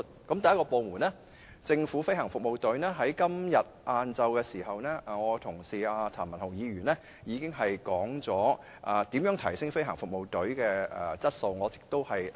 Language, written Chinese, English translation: Cantonese, 第一個部門是飛行服務隊，我的同事譚文豪議員今天下午已經指出如何提升飛行服務隊的質素，我略而不提了。, The first department is the Government Flying Service . My colleague Mr Jeremy TAM already pointed how to improve the quality of the Government Flying Service this afternoon and I will skip this part